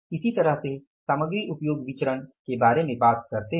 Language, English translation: Hindi, Similarly you talk about the material usage variance